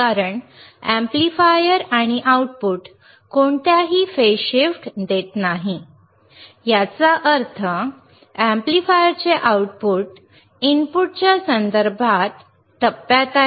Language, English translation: Marathi, Because amplifier and the output is not giving any phase shift; that means, output of the signal output signal or the signal at the output of the amplifier is in phase with respect to the input